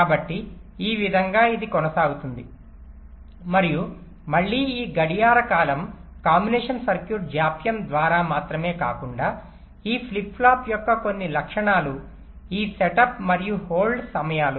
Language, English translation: Telugu, this clock period will be decided not only by the combination circuit delay, but also some characteristics of this flip flop, this set up and hold times